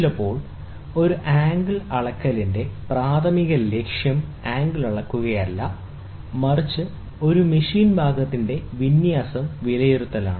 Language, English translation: Malayalam, Sometimes, the primary objective of an angle measurement is not to measure angle, but to assess the alignment of a machine part